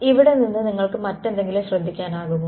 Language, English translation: Malayalam, Anything else that you can notice from here